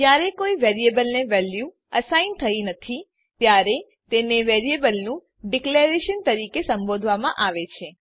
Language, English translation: Gujarati, If a value is not assigned to a variable then it is called as declaration of the variable